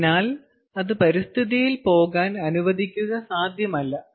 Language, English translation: Malayalam, so therefore it is not at all possible to let it go in the environment